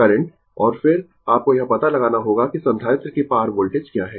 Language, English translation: Hindi, And then, you have to find out what is the voltage across the capacitor